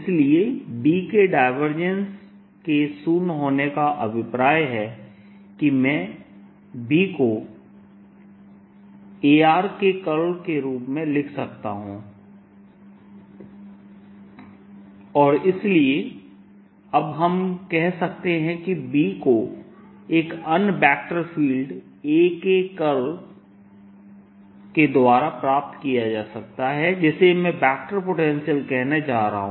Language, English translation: Hindi, so divergence of b is zero implies where i can write b as curl of a, of r, and therefore now we can say that b can be obtained as the curl of another vector, field, a, which i am going to call the vector potential